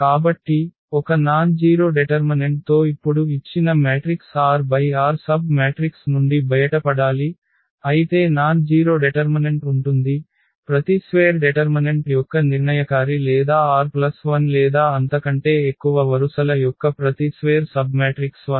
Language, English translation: Telugu, So, we have to now get out of these given matrix r cross r submatrix which has the nonzero determinant whereas, the determinant of every square determinant or every square submatrix of r plus 1 or more rows is 0